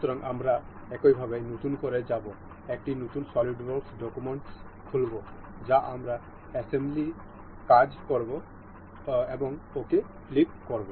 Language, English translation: Bengali, So, we will go by new in the same way we will open a new solidworks document that is we will work on assembly, click ok